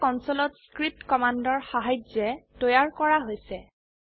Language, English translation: Assamese, They were created with the help of script commands written on the console